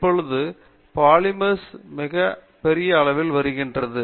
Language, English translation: Tamil, So but the polymers are coming in very big